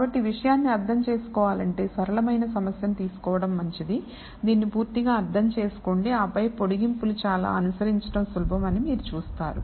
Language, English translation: Telugu, So, to understand the subject it is better to take the simplest problem un derstand it thoroughly and then you will see the extensions are fairly easy to follow